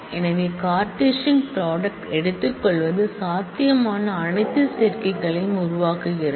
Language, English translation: Tamil, So, taking Cartesian product is making all possible combinations